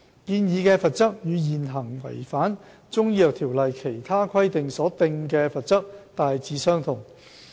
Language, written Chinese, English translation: Cantonese, 建議的罰則與現行違反《條例》其他規定所訂的罰則大致相同。, The proposed penalty is broadly the same as the existing penalty for not complying with other regulations under the Ordinance